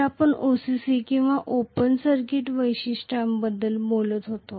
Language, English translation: Marathi, So, we were talking about OCC or Open Circuit Characteristics